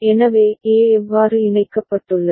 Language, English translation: Tamil, So, this is how A is connected